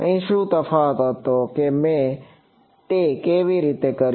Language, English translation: Gujarati, Here what was the difference how did I do it